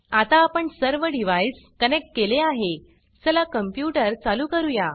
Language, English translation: Marathi, Now that we have connected all our devices, lets turn on the computer